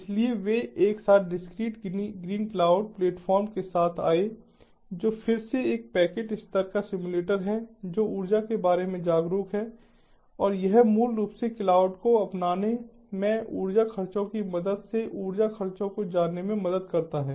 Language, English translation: Hindi, so they together came up with discrete green cloud platform which is again a packet level simulator which is energy aware and that basically helps in ah reducing the overall you know energy expenses, ah, with the help of ah energy expenses in the adoption of cloud